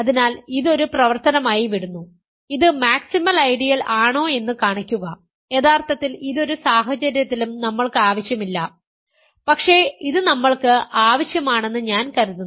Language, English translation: Malayalam, So, I will leave this as an exercise show that is a maximal ideal of, actually this is not quite required for us in any case, I think this is required for us